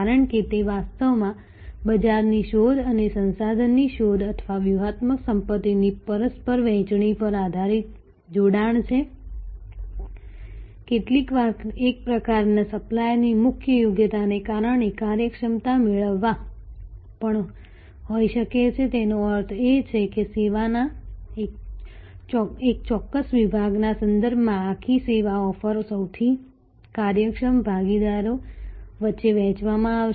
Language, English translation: Gujarati, Because, and that is actually alliance based on market seeking and resource seeking or mutual sharing of strategic asset, sometimes due to core competence of one type of supplier there can be also efficiency seeking; that means, the whole service offering will be shared among the most efficient partners with respect to one particular section of that service